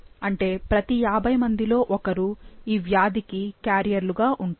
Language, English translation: Telugu, That is every individual, every one individual in 50 would be carrier for this disease